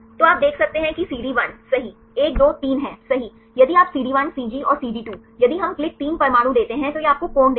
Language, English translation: Hindi, So, you can see that CD1 right 1 2 3 right if you CD1, CG and CD2, if we give click 3 atoms then this will give you the angle